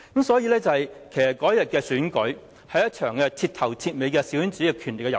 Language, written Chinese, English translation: Cantonese, 所以，其實當日的選舉，只是一場徹頭徹尾的小圈子的權利和遊戲。, Therefore the election held on that day was nothing but a total small - circle game of power